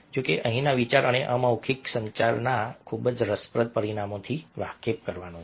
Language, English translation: Gujarati, however, the idea here was to make you aware of the very interesting dimensions of non verbal communication